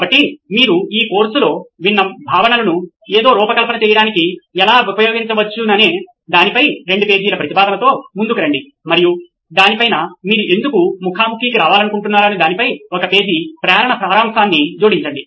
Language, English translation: Telugu, So come up with a 2 page proposal on how you might use the concepts that you have listened to in this course to design something and on top of that add a one page motivational summary on why you want to come to a face to face workshop